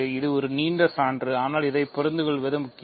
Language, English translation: Tamil, So, ok, this is a long proof but it is important to understand this